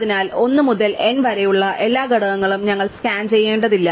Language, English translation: Malayalam, So, we do not have to scan all the elements 1 to n